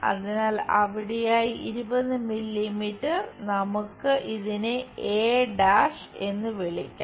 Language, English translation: Malayalam, So, 20 mm somewhere there this is let us call a’